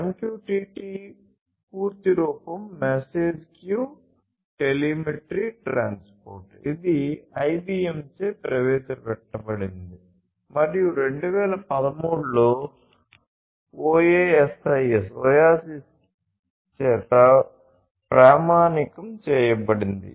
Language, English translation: Telugu, One of which is the MQTT protocol, MQTT: the full form is Message Queue Telemetry Transport which was introduced by IBM and standardized by OASIS in 2013